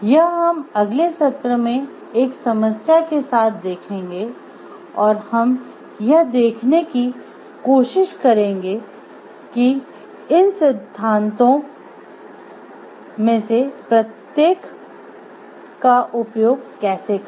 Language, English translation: Hindi, This we will take up in next in the next session with a case and we will try to see how to use each of these theories over there